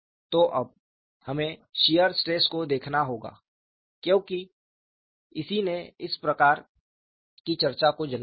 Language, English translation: Hindi, So now, we have to look at the shear stress because that is what as precipitated at this kind of a discussion